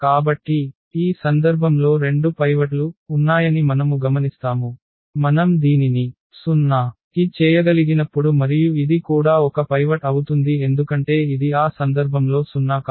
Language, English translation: Telugu, So, we will observe that there are 2 pivots in this case, when we just we can just make this to 0 and then this will become also a pivot because this will not be 0 in that case